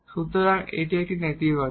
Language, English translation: Bengali, So, this a non negative